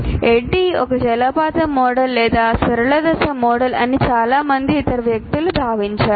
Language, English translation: Telugu, And somehow many other people have considered that this is a waterfall model or a linear phase model